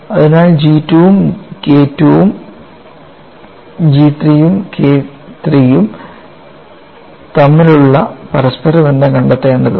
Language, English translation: Malayalam, So, we have to find out the interrelationship between G 2 and K 2 G 3 and K 3